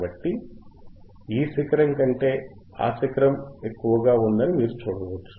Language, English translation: Telugu, So, you can see this peak is higher than the this peak right